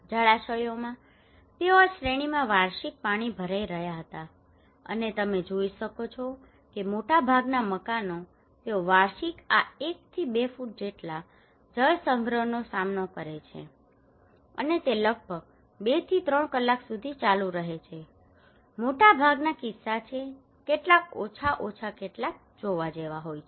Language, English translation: Gujarati, In waterlogging, they were facing annual waterlogging in these series, and you can see here that most of the building most of the houses they face this one to two feet waterlogging annually and it continues for around two to three hours most of the cases okay, some are less some are more like that